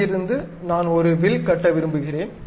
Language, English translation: Tamil, From there, I would like to really construct an arc